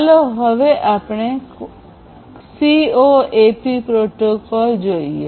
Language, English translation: Gujarati, So, let us now look at the CoAP protocol